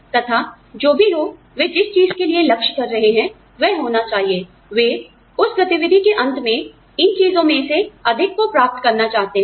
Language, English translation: Hindi, And whatever, they are aiming for, should be, they want to get, more of these things out, at the end of that activity